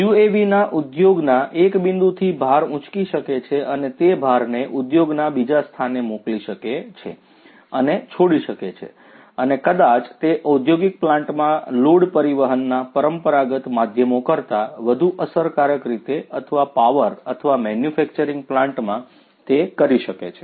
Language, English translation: Gujarati, UAVs could lift the load from one point in the industry and could send and could you know release the load to another point in the industry, and maybe it can do that in a much more efficient manner than the conventional means of transporting load in an industrial plant or a power or a manufacturing plant